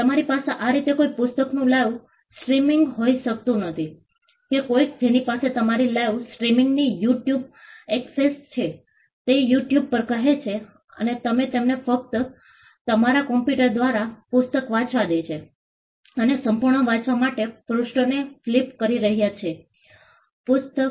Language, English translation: Gujarati, You cannot have a live streaming of the book in such a way that somebody who has access to your live streaming say on YouTube is watching the book and you are just letting them read the book through your computer and flipping pages for them to read the complete book